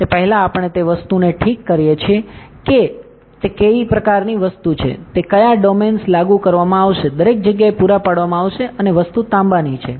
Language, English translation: Gujarati, Before that we fix the material what kind of the material it is, which domains it will be applied, supplied everywhere and the material is copper